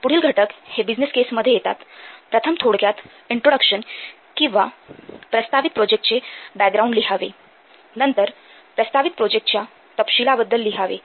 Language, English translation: Marathi, So, the following contents are there in a business case about first little bit of introduction or background of the project proposed projects should be written